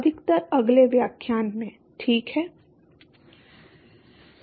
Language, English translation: Hindi, Mostly in the next lecture, alright